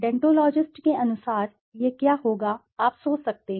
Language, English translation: Hindi, As per deontologists, what would it be, you can think